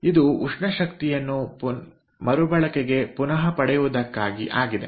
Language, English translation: Kannada, so this is for recovery of thermal energy